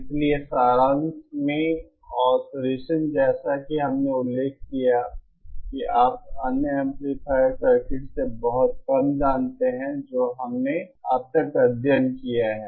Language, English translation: Hindi, So in summary oscillators as we as I mentioned you know little different from other amplifier circuits that we have studied so far